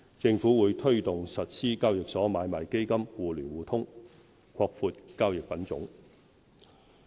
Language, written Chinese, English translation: Cantonese, 政府會推動實施交易所買賣基金互聯互通，擴闊交易品種。, The Government will promote the realization of mutual access of exchange - traded funds to expand the scope of eligible securities for trading